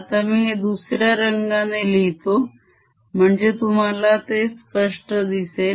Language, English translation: Marathi, ok, let me write it again in different color so that you see it clearly